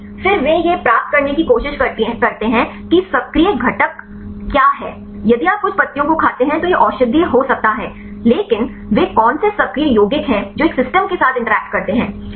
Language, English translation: Hindi, Then they try to get what is the active ingredient, if you eat some of the leaves it can be medicinal, but what are the active compounds which one interact with the system right